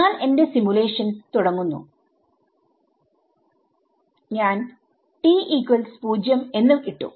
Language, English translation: Malayalam, I start my simulation, I put t equal to 0